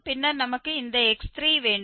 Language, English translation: Tamil, Another one we can say x plus 2 fx